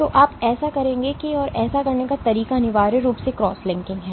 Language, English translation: Hindi, So, how would you do that and the way to do that is essentially cross linking